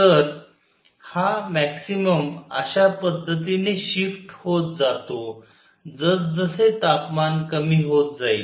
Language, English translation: Marathi, So, this maximum shift in such a way as temperature goes down